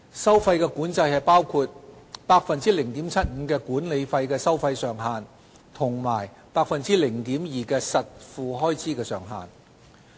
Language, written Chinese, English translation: Cantonese, 收費管制包括 0.75% 的管理費收費上限及 0.2% 的實付開支上限。, The fee control consists of a management fee cap of 0.75 % and an out - of - pocket expenses cap of 0.2 %